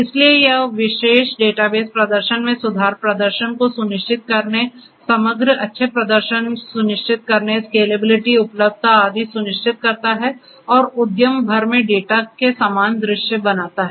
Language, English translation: Hindi, So, this particular database will ensure performance, improvement, performance ensuring performance overall good performance is ensured, scalability, availability and so on and creating a similar view of data across the enterprise